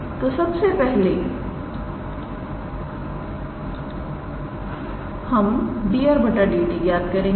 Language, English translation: Hindi, So, we first calculate d r dt